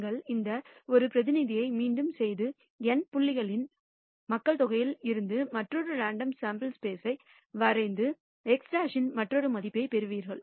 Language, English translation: Tamil, And you repeat this experiment and draw another random sample from the population of N points and get another value of x bar